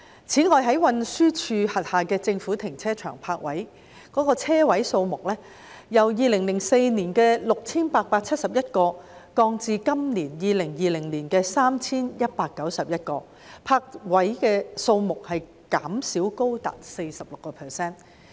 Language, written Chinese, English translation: Cantonese, 然而，運輸署轄下的政府停車場泊車位數目，卻由2004年的 6,871 個減少至今年的 3,191 個，泊車位數目的減幅高達 46%。, Notwithstanding this the number of parking spaces in government car parks managed by the Transport Department has decreased from 6 871 in 2004 to 3 191 in this year ie . 2020 . The number of parking spaces has been reduced by as much as 46 %